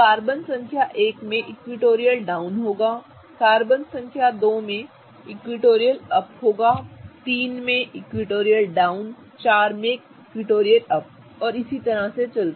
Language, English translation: Hindi, Carbon number 2 will have an equatorial up, carbon number 3 will have an equatorial down, carbon number 4 will have an equatorial up, down and up again